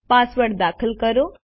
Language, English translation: Gujarati, Enter your password